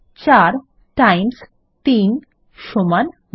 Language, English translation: Bengali, 4 times 3 equals 12